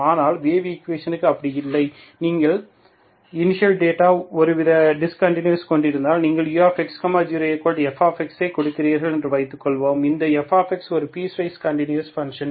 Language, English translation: Tamil, But that is not the case for the wave equation, if you give the initial data is having some kind of discontinuity, okay, suppose you give U of X0 equal to fx, that fx is a piecewise continuous function for example